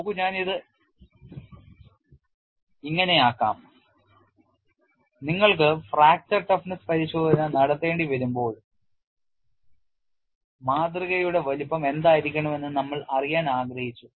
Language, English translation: Malayalam, See let it put it this way, when you have to do the fracture toughness testing; we wanted to identify what should be the size of the specimen